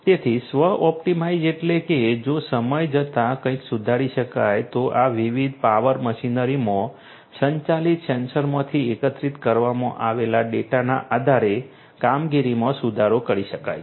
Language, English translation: Gujarati, So, self optimized means like you know if something can be improved over time the operations could be improved based on the data that are collected, the data that are collected from the sensors that are integrate integrated to these different power machinery